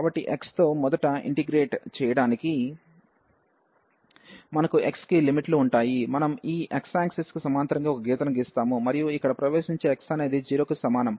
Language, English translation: Telugu, So, for integrating first with respect to x, we will have the limits for the x, so we will draw a line parallel to this x axis and that enters here x is equal to 0